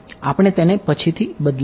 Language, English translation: Gujarati, We can change it later